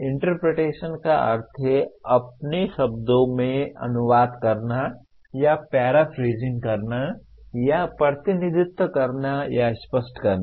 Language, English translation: Hindi, Interpretation means translating into your own words or paraphrasing or represent or clarify